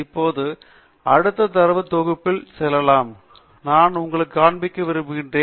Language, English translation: Tamil, Now, letÕs move on to the next data set that I want to show you